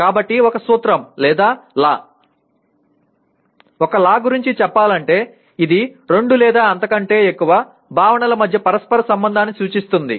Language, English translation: Telugu, So a principle or a law if you talk about, a law is nothing but represents interrelationship between two or more concepts